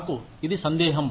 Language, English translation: Telugu, I doubt it